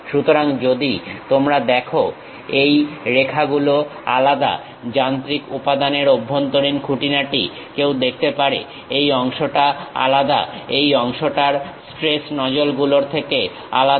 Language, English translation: Bengali, So, if you are seeing these lines are different, the interior details of the machine element one can see; this part is different, this part is different the stress nozzles